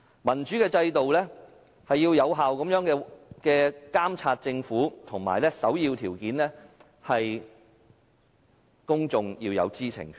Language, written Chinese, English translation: Cantonese, 民主的制度是要有效監察政府，而首要條件是公眾要有知情權。, A democratic system stresses effective monitoring of the Government and the first prerequisite is to uphold the publics right to know